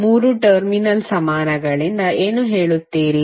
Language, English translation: Kannada, What do you mean by 3 terminal equivalents